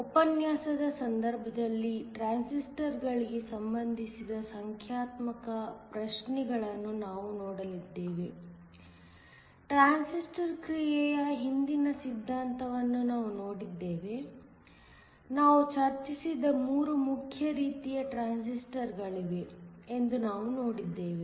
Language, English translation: Kannada, We are going to look at numerical problems related to transistors during the course of the lecture, we saw the theory behind the transistor action; we saw that there were three main kinds of transistors that we discussed